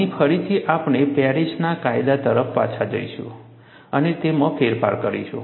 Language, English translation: Gujarati, Here again, we will go back the Paris law and modify it